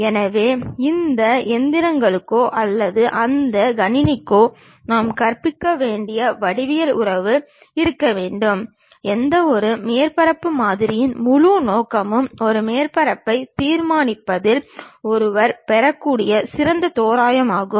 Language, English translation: Tamil, So, there should be a geometric relation we have to teach it to these machines or to that computer and whole objective of any surface model is the best approximation what one can get in terms of constructing a surface